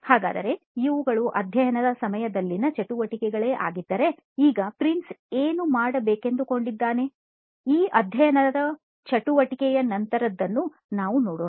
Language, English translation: Kannada, Then so now if we considered these are the activities during the studying activity what Prince would be carrying out, so now we can move on to the after this studying activity is done